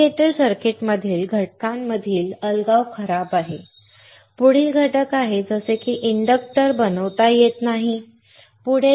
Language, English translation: Marathi, Isolation between components within the indicator circuit is poor; The next is components such as an inductor cannot be fabricated